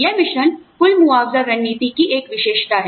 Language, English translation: Hindi, This mix is a characteristic, of the total compensation strategy